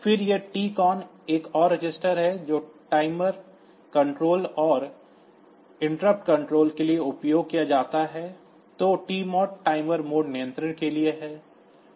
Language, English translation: Hindi, So, you can use this PCON register there then this TCON is another register which is used for timer control timer and timer and interrupt control then TMOD is for the timer mode control